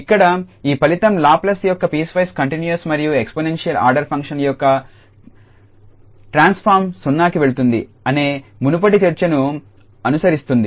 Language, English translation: Telugu, So, here this result follows form the earlier discussion that the Laplace transform of a piecewise continuous and of exponential order functions that goes to 0